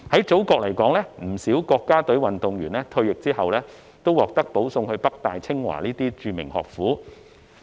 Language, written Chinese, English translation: Cantonese, 祖國不少國家隊運動員在退役後，均獲保送至北大、清華等著名學府就讀。, In our Motherland many national athletes would go to study at famous educational establishments such as the Peking University and the Tsinghua University on recommendation after retirement